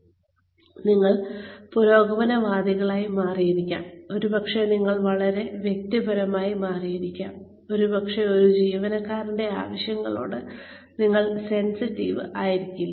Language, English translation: Malayalam, Maybe, you have become progressive, maybe you have become too personal, maybe, you have not been sensitive, to this employee